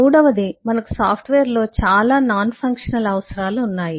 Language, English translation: Telugu, the third: we have a lot of nonfunctional requirements in a software